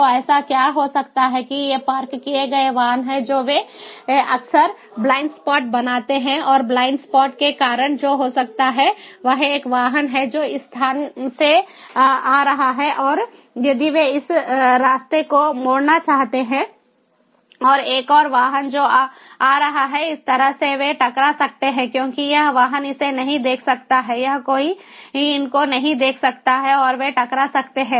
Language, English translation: Hindi, so what might so happen is these vehicles, these parked vehicles, they often create blind spots, blind spots, and due to blind spots, what might happen is a vehicle that is coming from this place and if they want to turn this way and another vehicle that is coming from this way, they might collide because these vehicle cannot see this one, this one cannot see these, and they might collide